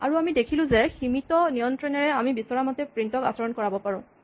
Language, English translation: Assamese, And what we saw is that, with the limited amount of control, we can make print behave as we want